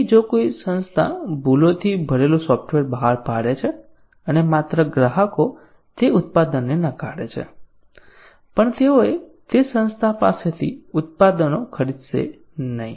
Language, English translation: Gujarati, So, if an organization releases software full of bugs and not only the customers will reject that product, but also they will not buy products from that organization